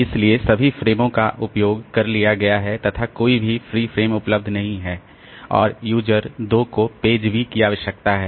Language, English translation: Hindi, So, all frames are used, no free frame and user 2 needs the page B